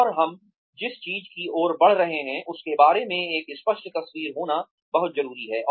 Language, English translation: Hindi, And, it is very important to have, a clear picture regarding, what we are heading towards